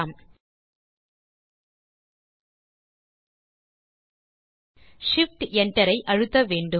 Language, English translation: Tamil, You have to press shift enter